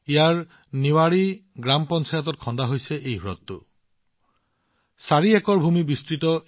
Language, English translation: Assamese, This lake, built in the Niwari Gram Panchayat, is spread over 4 acres